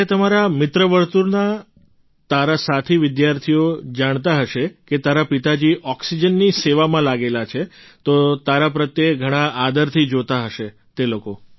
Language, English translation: Gujarati, When your friend circle, your fellow students learn that your father is engaged in oxygen service, they must be looking at you with great respect